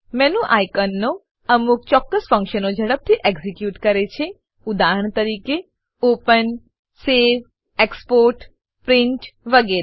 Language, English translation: Gujarati, The menu icons execute certain functions quickly for eg open, save, export, print etc